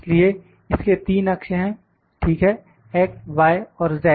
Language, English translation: Hindi, So, it has 3 axes, ok: x, y and z